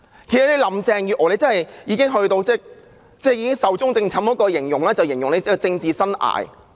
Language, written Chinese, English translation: Cantonese, 其實，林鄭月娥已經"壽終正寢"了——這是形容她的政治生涯。, As a matter of fact Carrie LAM is dead―a description of her political career